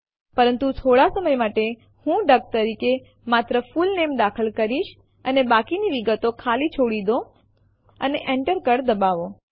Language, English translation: Gujarati, But for the time being, I will enter only the Full Name as duck and leave the rest of the details blank by pressing the Enter key